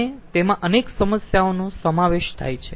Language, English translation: Gujarati, and it encompasses many issues